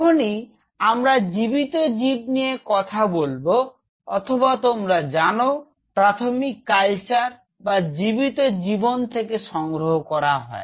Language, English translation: Bengali, So, whenever we are talking about live animal or you know primary culture from right live animal